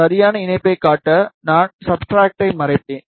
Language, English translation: Tamil, And just to show the proper connection, I will just hide the substrate